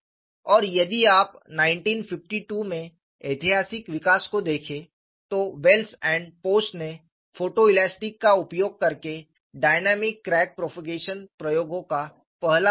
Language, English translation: Hindi, And if you look at the historical development in 1952, Wells and post perform the first set of dynamic crack propagation experiment using photo elasticity